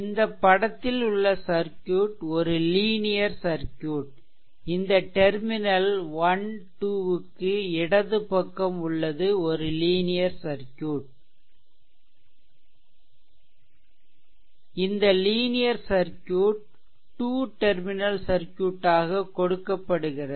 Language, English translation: Tamil, So, for example, suppose this figure this thing it shows a linear circuit that is circuit to the your what you call left of this terminal this side this side left of the terminal this 1 2, this is terminal 1 and 2 in figure your what you call is known as this is a figure, this linear circuit is given two terminal circuit